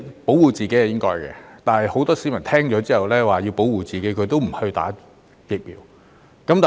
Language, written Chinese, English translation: Cantonese, 保護自己是應該的，但很多市民知道可以保護自己也不接種。, Protecting ourselves is something we should do but many people do not get vaccinated even though they know it can protect them